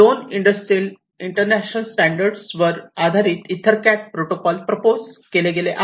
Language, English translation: Marathi, These are two industrial international standards and based on which the ether Ethernet CAT protocol was proposed